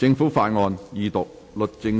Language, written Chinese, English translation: Cantonese, 政府法案：二讀。, Government Bills Second Reading